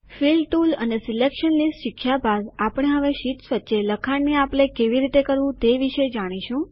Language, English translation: Gujarati, After learning about the Fill tools and Selection lists we will now learn how to share content between sheets